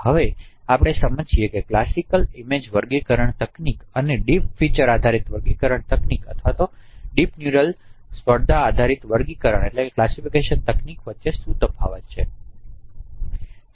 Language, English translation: Gujarati, Now let us understand that what is the difference between classical image classification techniques and the deep features based classification techniques or deep neural competition based classification techniques